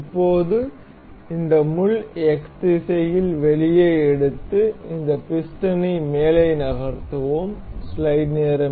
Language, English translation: Tamil, Now, we will take this pin out in the X direction and we will move this piston on the top